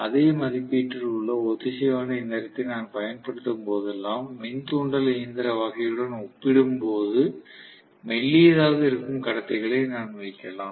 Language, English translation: Tamil, So, whenever I employ a synchronous machine of the same rating, I can put conductors which are thinner as compared to the induction machine case